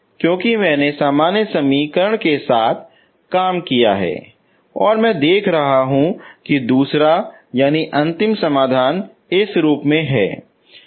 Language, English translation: Hindi, If you look for in this form because I worked with the general equation and I see that second solution final will be in this form